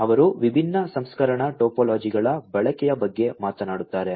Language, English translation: Kannada, they talk about the use of different processing topologies